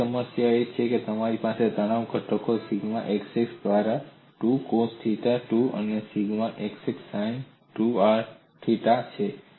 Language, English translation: Gujarati, That loading we have seen the other problem is you have the stress components sigma xx by 2 coos 2 theta, and sigma xx by 2 sin 2 theta